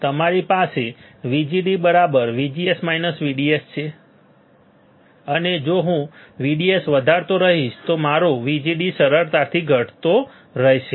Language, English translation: Gujarati, You have this VGD equals to VGS minus VDS, but if I keep on increasing VDS